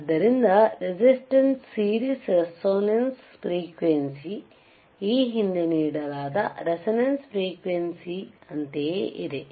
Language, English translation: Kannada, tTherefore, the resistance series resonantce frequency is same as the resonant frequency which iwas given ea earrlier right